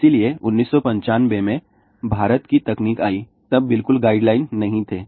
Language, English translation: Hindi, So, in India technology came in 1995, there were absolutely no guidelines